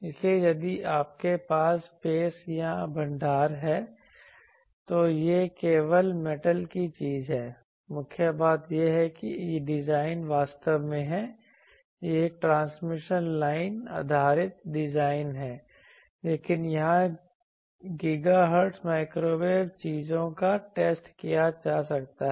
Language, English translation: Hindi, So, this also if you have storage of space, you can easily this is simply metal thing the main thing is that design actually how the it is a transmission line based design, but GHz thing microwave things can be tested here